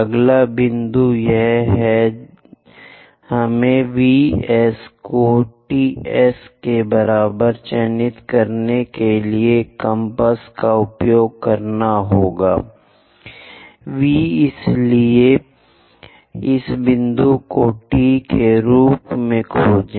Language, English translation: Hindi, The next point is we have to use compass to mark V S is equal to T S; V, so locate this point as T